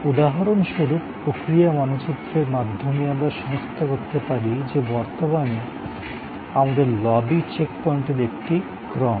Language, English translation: Bengali, For example, through process map we could identify that this, the current lobby is a series of check points